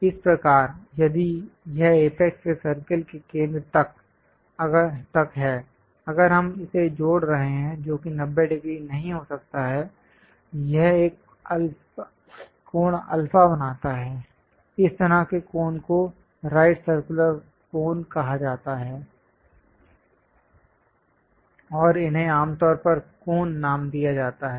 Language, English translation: Hindi, So, this one if from apex all the way to centre of the circle, if we are joining that may not be 90 degrees; it makes an angle alpha, such kind of cones are called right circular cones, and these are generally named as cones